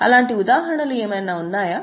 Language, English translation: Telugu, Do you think of any such examples